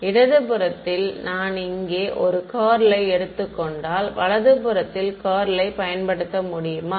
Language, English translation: Tamil, If I take a curl over here on the left hand side can I get use the curl on the right hand side